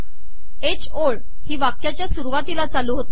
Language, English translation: Marathi, H line begins from the beginning of the sentence